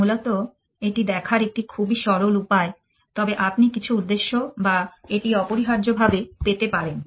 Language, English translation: Bengali, Essentially, it just a very naïve way of looking at it, but you can get some intention or that essentially